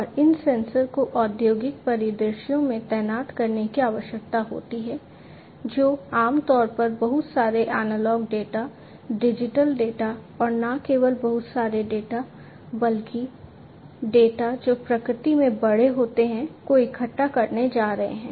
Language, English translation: Hindi, And these sensors want deployed in the industrial scenarios typically are going to collect lot of data, lot of analog data, lot of digital data and not only lot of data, but data, which are big in nature